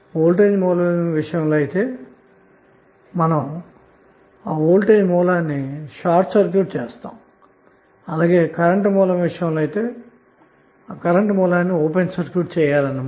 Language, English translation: Telugu, So turned off means what in the case of voltage source it will be short circuited and in case of current source it will be open circuited